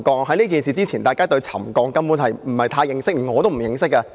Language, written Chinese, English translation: Cantonese, 在這事件發生前，大家對沉降根本不太認識，我也不太認識。, Before this incident people actually did not know much about settlement . Neither did I